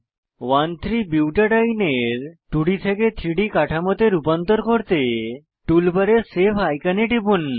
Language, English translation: Bengali, To convert 1,3 butadiene 2D structure to 3D structure, click on the Save icon on the tool bar